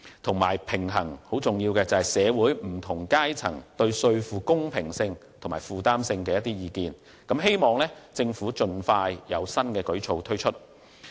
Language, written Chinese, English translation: Cantonese, 此外，還有很重要的是，平衡社會不同階層對稅負公平性和負擔性的意見，希望政府會盡快推出新舉措。, On the other hand it is also very important to balance the views of people from different sectors on tax equity and affordability . It is hoped that the Government will introduce new initiatives as early as possible